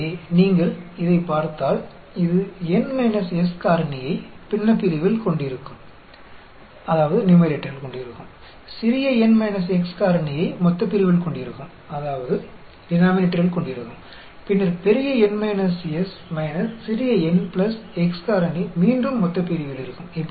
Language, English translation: Tamil, So, if you look at this, this will have N minus S factorial in the numerator, small n minus x factorial in the denominator; then, capital N minus S minus small n plus x factorial again in the denominator